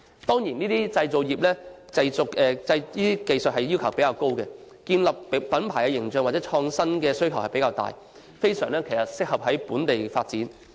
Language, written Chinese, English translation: Cantonese, 這些製造業技術要求較高，建立品牌形象和創新的需要較大，非常適合在本土發展。, These manufacturing industries have higher technical requirements and greater needs for brand image building and innovation and they are very suitable for development in Hong Kong